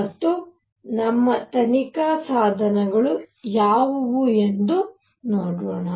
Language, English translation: Kannada, And let us see what are our investigation tools